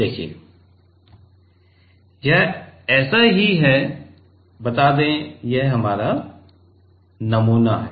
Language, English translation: Hindi, See, it is just like, let us say this is our sample